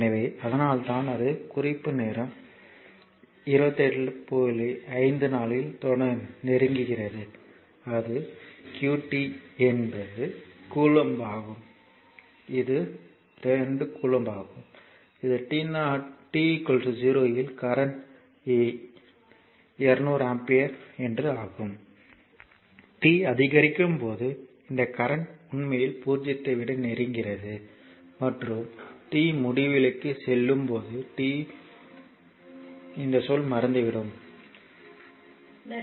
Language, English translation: Tamil, So, that is why it is your approaching and that is qt is coulomb that is 2 coulomb and this is the current right it is the current when t is equal to 0, current is 200 ampere because when t is equal to 0 this term is 1